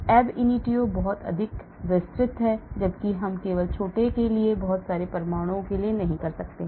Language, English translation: Hindi, The ab initio is much more detailed whereas we cannot do for too many atoms only for small